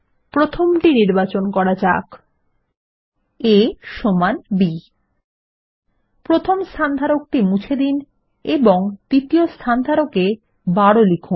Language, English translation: Bengali, Let us select the first one: a is equal to b And we will delete the first placeholder and type 12 in the second place holder